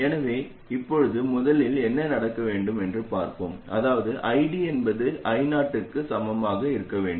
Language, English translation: Tamil, That is, we want ID to be equal to I 0